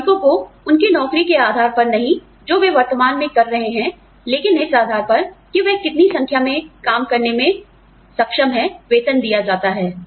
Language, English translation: Hindi, Workers are paid, not on the basis of the job, they currently are doing, but rather on the basis of, the number of jobs, they are capable of doing